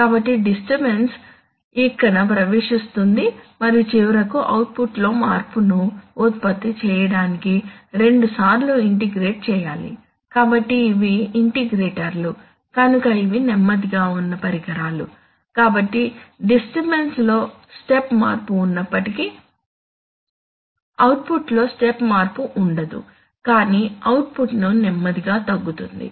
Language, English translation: Telugu, So you see either that the disturbance enters here and goes through two integrations to finally produce a change in the output, so since these are integrators these are slow devices, so even if there is a set step change in the disturbance there will not be a step change in the output but they, rather the output will start slowly decreasing